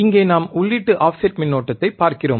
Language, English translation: Tamil, Here, we are looking at input offset current